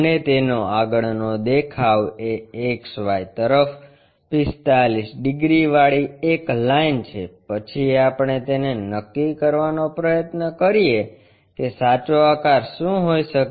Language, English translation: Gujarati, And front view is a line 45 degrees inclined to XY, then we try to figure it out what might be the true shape